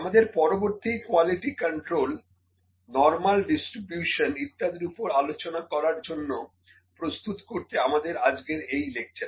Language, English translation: Bengali, So, just this is the lecture to prepare for the next discussion that we are going to do, on the quality control, on the normal distribution, etc